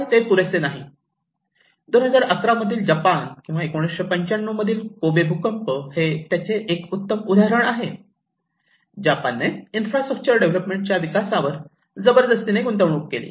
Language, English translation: Marathi, But that is not enough; the one great example is 2011 Japan or 1995 Kobe earthquake, also in India, we have giving so much effort, like a country which is so prepare like Japan investing so much on infrastructure development